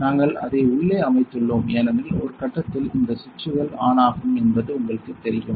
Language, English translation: Tamil, So, we have set it inside because at one point these switches will come on you know